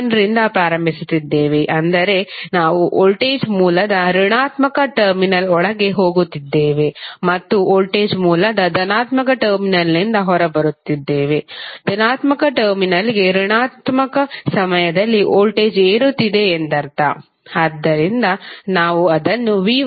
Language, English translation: Kannada, Let us start from v¬1¬ because since we are starting from v¬1¬ that is we are going inside the negative terminal of voltage source and coming out of the positive terminal of voltage source; it means that the voltage is rising up during negative to positive terminal so we represent it like minus of v¬1¬